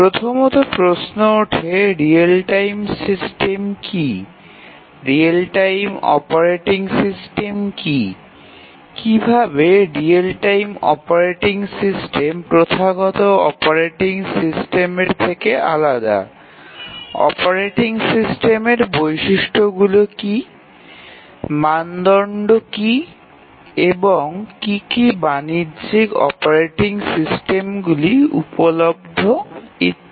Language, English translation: Bengali, So, the first question that we need, somebody would ask is that what is a real time system, what is a real time operating system, how is real time operating system different from a traditional operating system, what are the features of this operating system, what are the standards etcetera, what are the commercial operating systems that are available